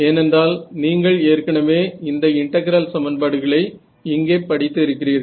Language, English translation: Tamil, So, you see this part was really easy because you have already studied these integral equations over here